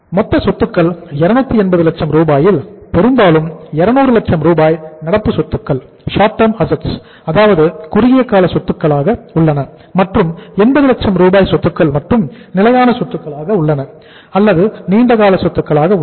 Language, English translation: Tamil, Out of the 280 lakh rupees of the total assets largely means the 200 lakhs of the rupees of the assets are current assets, short term assets and only 80 lakhs of the assets are fixed assets or the long term assets